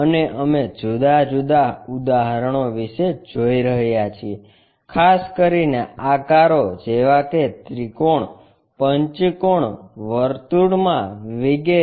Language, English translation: Gujarati, And we are looking at different problems especially, the shapes like triangle, pentagon, circle this kind of things